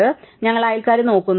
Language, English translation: Malayalam, So, we look at the neighbours